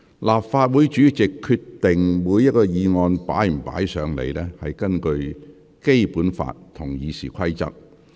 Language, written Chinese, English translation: Cantonese, 立法會主席決定是否批准議案提交立法會，所依據的是《基本法》和《議事規則》。, In deciding whether to permit the presentation of a motion to the Legislative Council the President of the Legislative Council adopts the Basic Law and the Rules of Procedure as the basis